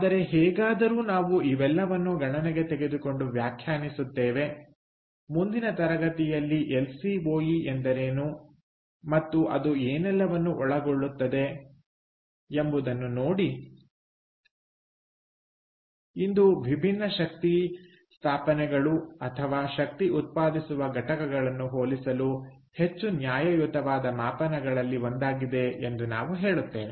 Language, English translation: Kannada, so we will take all these into account and define what is lcoe in the next class and see what all it encompasses, due to which we say that it is one of the more fair metrics for comparing different energy installations or energy generating units